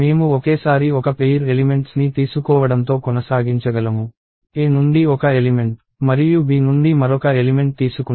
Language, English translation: Telugu, So, I can proceed taking one pair of elements at a time ;one element from A and another element from B